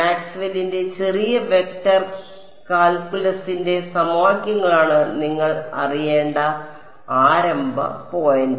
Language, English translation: Malayalam, Starting point all you need to know is Maxwell’s equations little bit of vector calculus